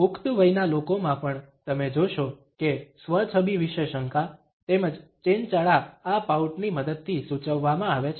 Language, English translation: Gujarati, Even in adults you would find that doubts about self image, as well as a flirtation is indicated with the help of this pout